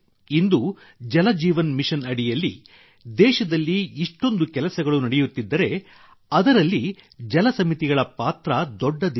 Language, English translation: Kannada, Today, if so much work is being done in the country under the 'Jal Jeevan Mission', water committees have had a big role to play in it